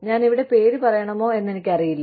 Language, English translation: Malayalam, I do not know, if should be mentioning, the name here